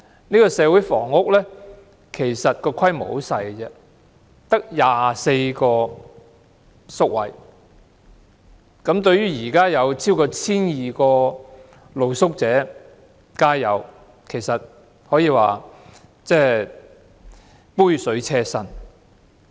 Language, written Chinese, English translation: Cantonese, 其實這個社區房屋規模很小，只得24個宿位，相對超過 1,200 名露宿者、街友，其實可說是杯水車薪。, The service is actually launched on a very small scale with the provision of only 24 hostel places and as compared with over 1 200 street sleepers and homeless people the project is merely a drop in the ocean